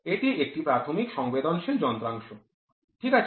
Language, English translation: Bengali, This is a primary sensing device, ok